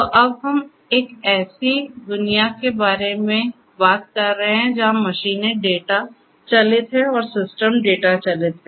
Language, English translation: Hindi, So, now we are talking about a world where machines are data driven, systems are data driven